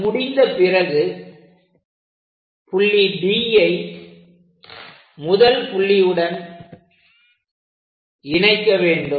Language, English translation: Tamil, Once it is done from D point connect first point